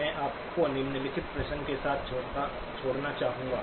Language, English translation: Hindi, I would like to leave you with a following question